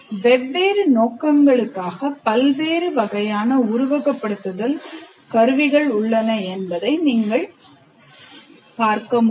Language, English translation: Tamil, So as you can see, one can have a very large variety of simulation tools for different purposes